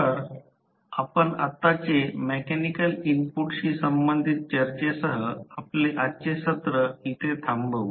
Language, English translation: Marathi, So, we close our today’s session with the discussion related to the mechanical input which we just had